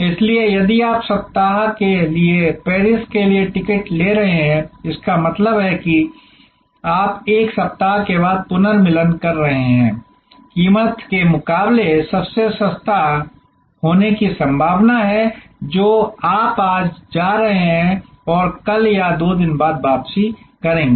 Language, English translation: Hindi, So, if you are taking a ticket for Paris for a week; that means, you retuning after 1 week the price is most likely to be cheaper than a price which is you go today and comeback tomorrow or 2 days later